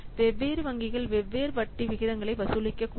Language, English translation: Tamil, So, different banks may charge different interest rates